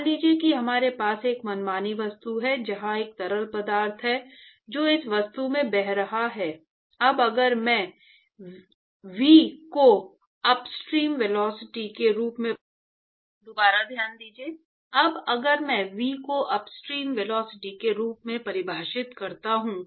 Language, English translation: Hindi, So, supposing if we have an arbitrary object, where there is a fluid which is flowing past this object, now if I define V as the upstream velocity